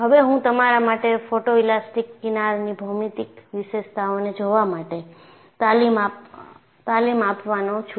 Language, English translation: Gujarati, In fact, I am going to train your eyes for looking at geometric features of photo elastic fringes